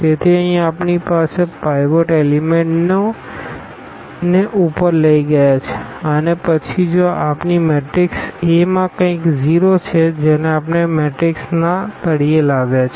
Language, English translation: Gujarati, So, here we have taken these pivot rows to the to the up and then if something is 0 here in our matrix A that we have brought down to this bottom of the matrix